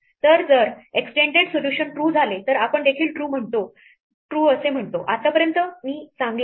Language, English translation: Marathi, So, if extend solution returns true we also return true saying that, so far I am good